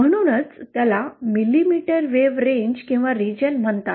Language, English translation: Marathi, That is why it is called as a millimetre wave range/region